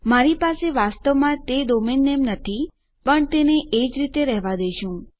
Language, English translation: Gujarati, I dont actually have that domain name but well just keep it as that